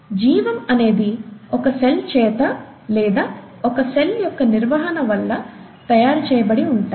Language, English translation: Telugu, So life is made up of either single cells, or an organization of single cells